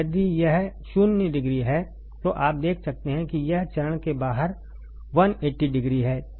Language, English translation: Hindi, If this is 0 degree, this you can see is 180 degree 180 degree out of phase